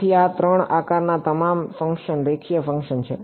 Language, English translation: Gujarati, So, all of these 3 shape functions are linear functions ok